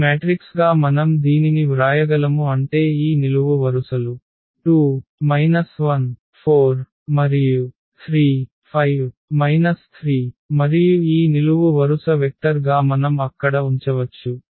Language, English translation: Telugu, Meaning that we can write down this as this matrix whose columns are these given vectors are 2 minus 1 4 and 3 5 minus 3 and this s t we can put again as a column vector there